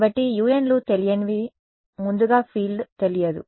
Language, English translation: Telugu, So, u n’s are the unknowns earlier the field was unknown